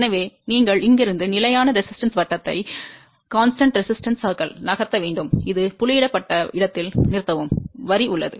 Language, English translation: Tamil, So, you have to move from here constant resistance circle, stop at a point where this dotted line is there